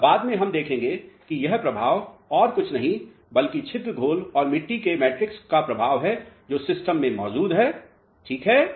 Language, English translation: Hindi, Now, later on we will see that this effect is nothing, but the effect of the pore solutions and the soil matrix which is present in the system alright